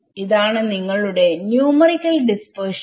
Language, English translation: Malayalam, Can there be dispersion numerically